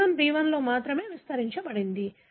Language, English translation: Telugu, G1 amplified only in B1